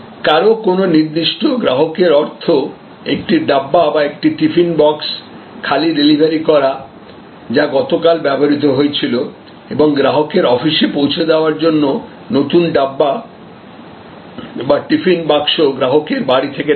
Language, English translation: Bengali, Because a particular customer means one dabba or a tiffin box is delivered empty, which was used yesterday and the new dabba or the tiffin box is taken from the customer’s home for delivery to the customers office